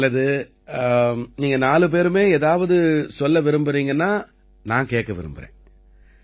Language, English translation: Tamil, Well, if all four of you want to say something to me, I would like to hear it